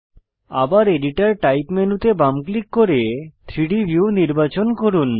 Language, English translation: Bengali, Left click on the editor type menu again and select 3D view